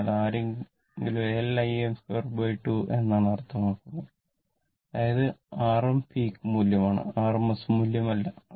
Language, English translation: Malayalam, So, if somebody says half L I square means, it is R m peak value, not the rms value